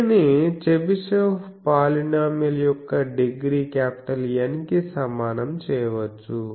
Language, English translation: Telugu, This can be equated to the Chebyshev polynomial of degree N